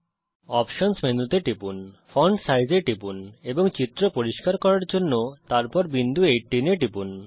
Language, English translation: Bengali, Click on the options menu click on font size and then on 18 point to make the figure clear